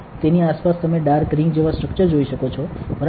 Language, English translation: Gujarati, Around that you can see a dark ring like structure, correct